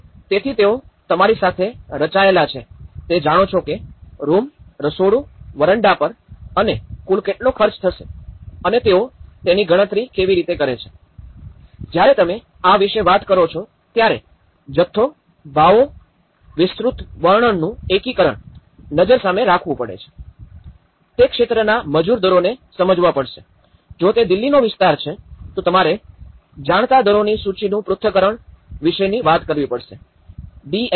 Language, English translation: Gujarati, So, in that way they have been composed with you know how much it is going to cost per room, kitchen, veranda and total is this much and how do they calculate it, when you talk about this is where the integration of quantity, pricing and specification will come into the picture also, one will have to understand the labour rates of that region, if it is a Delhi area you have to talk about the list analysis of rates you know, DSRs